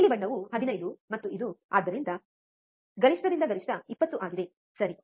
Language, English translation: Kannada, The blue one is 15 and this one so, peak to peak is 20, alright